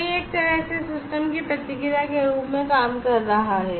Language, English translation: Hindi, So, that is some way acting as a feedback to the system